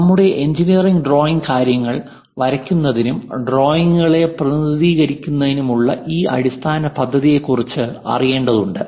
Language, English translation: Malayalam, And our engineering drawing is knowing about this basic plan of drawing the things and representing drawings